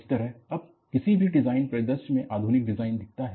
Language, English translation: Hindi, That is how, now, modern design looks at any design scenario